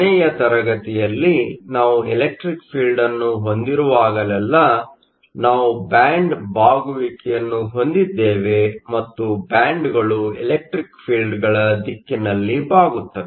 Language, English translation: Kannada, In last class, we also saw that whenever we have an electric field, we have band bending and the bands bend in the direction of the fields